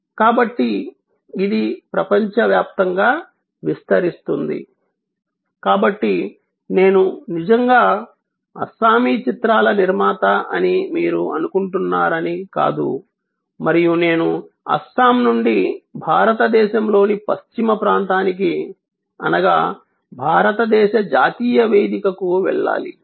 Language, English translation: Telugu, So, it will spread around the globe, so it is not that you are thinking of that I am actually a producer of Assamese films and I have to go from Assam to Western region of India to the national platform of India, you can go to the world stage right from day 1